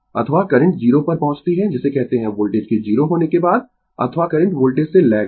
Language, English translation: Hindi, Or current reaching to 0 before your what you call after your voltage becomes 0 or currents lags from the voltage